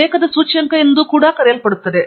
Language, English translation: Kannada, There is also something called citation index